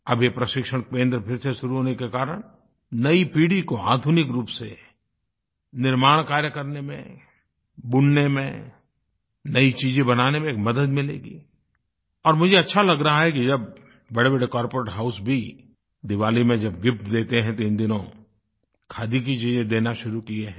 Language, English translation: Hindi, With the reopening of this training centre, the new generation will get a boost in jobs in manufacturing , in weaving, in creating new things and it feels so good to see that even big corporate Houses have started including Khadi items as Diwali gifts